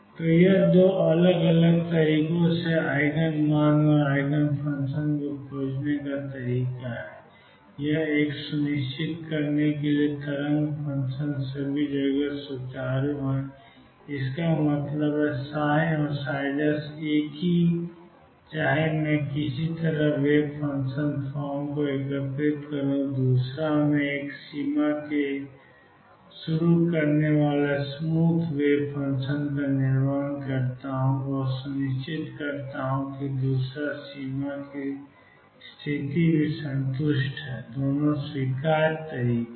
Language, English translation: Hindi, So, this the way to find Eigen value and the eigenfunction in 2 different ways one by making sure that the wave function is smooth all over; that means, psi and psi prime are the same no matter which side I integrate the wave function form and the other I build us smooth wave function starting from one boundary and make sure that the other boundary condition is also satisfied both are acceptable ways